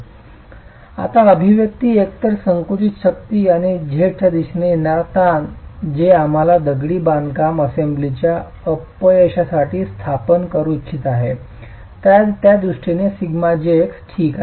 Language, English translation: Marathi, So this expression now in terms of the unaxial compressive strength and the stress in the Z direction, which is what we want to establish for the failure of the masonry assembly is written in terms of sigma j x